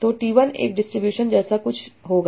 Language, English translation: Hindi, So T1 would be something like a distribution